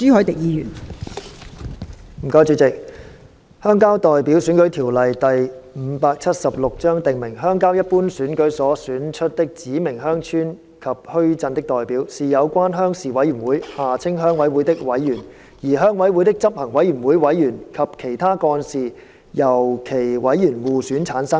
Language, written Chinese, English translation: Cantonese, 代理主席，《鄉郊代表選舉條例》訂明，鄉郊一般選舉所選出的指明鄉村及墟鎮的代表，是有關鄉事委員會的委員，而鄉委會的執行委員會委員及其他幹事由其委員互選產生。, Deputy President the Rural Representative Election Ordinance Cap . 576 provides that the representatives of specified villages and market towns elected from the rural ordinary elections shall be members of the relevant Rural Committees RCs and the executive committee members and other office holders of an RC are to be elected from among its members